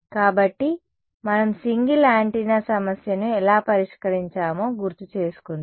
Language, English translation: Telugu, So, let us remind ourselves, how we solved the single antenna problem